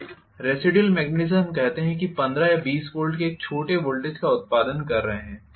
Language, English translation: Hindi, Residual magnetism let us say is producing a small voltage of 15 or 20 volts